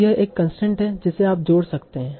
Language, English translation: Hindi, So that is a constant that you can add